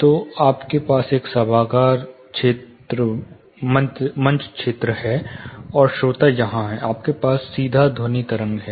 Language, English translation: Hindi, So, you have an auditorium stage area, and the listener here, you have direct sound wave